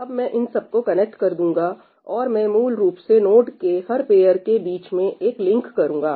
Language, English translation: Hindi, So, now, I connect these up and I basically put a link between every pair of the nodes